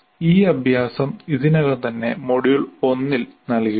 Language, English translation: Malayalam, This exercise we already asked in the module 1